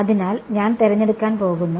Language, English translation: Malayalam, So, I am going to choose right